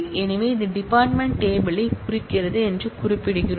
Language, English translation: Tamil, So, we are specifying that it references the department table